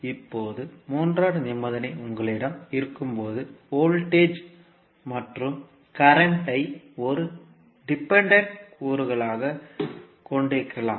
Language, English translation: Tamil, Now, third condition may arise when you have, voltage and current as a dependent component